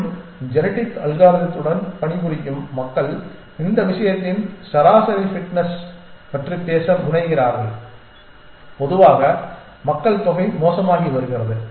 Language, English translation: Tamil, And the people who work with genetic algorithm tend to talk about average fitness of this thing that in general the population is becoming fitter